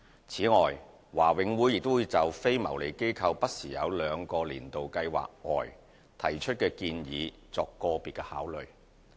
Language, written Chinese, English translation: Cantonese, 此外，華永會亦會就非牟利機構不時在兩個"年度計劃"外提出的建議作個別考慮。, BMCPC also gives individual considerations to donation applications submitted by non - profit - making organizations outside the two annual schemes